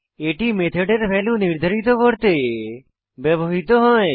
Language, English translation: Bengali, It is used to assign a value to a method